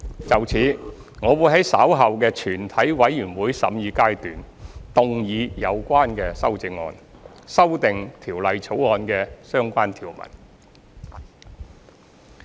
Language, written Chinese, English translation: Cantonese, 就此，我會在稍後的全體委員會審議階段動議有關修正案，修訂《條例草案》的相關條文。, In this connection I will move the relevant amendments to amend the relevant clauses of the Bill at the committee of the whole Council later